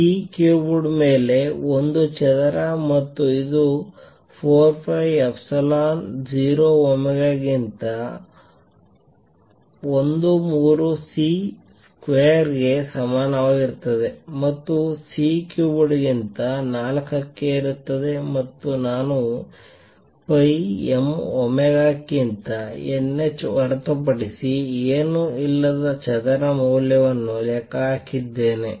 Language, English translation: Kannada, A square over C cubed and which is equal to 1 third C square over 4 pi epsilon 0 omega raise to 4 over C cubed and I just calculated the value of a square which is nothing but n h over pi m omega